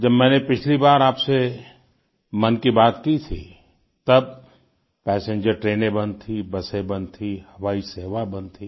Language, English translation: Hindi, The last time I spoke to you through 'Mann Ki Baat' , passenger train services, busses and flights had come to a standstill